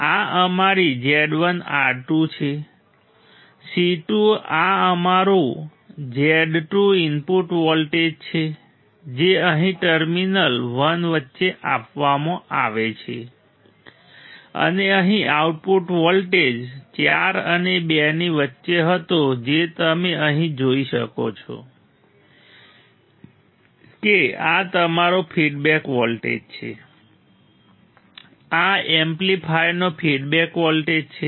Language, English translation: Gujarati, C 1 this is our Z 1 R 2; C 2 this is our Z 2 right input voltage is fed between terminal 1 here and here output was a voltage between 4 and 2 you can see here this is your feedback voltage correct these are feedback voltage to the amplifier